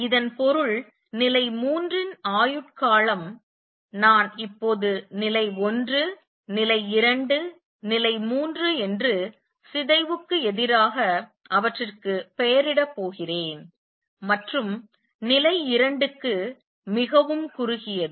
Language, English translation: Tamil, What that means is lifetime of level 3, I am going to name them now level 1, level 2, level 3 against decay to level 2 is very short